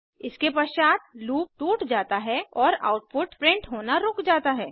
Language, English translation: Hindi, It subsequently breaks out of the loop and stops printing the output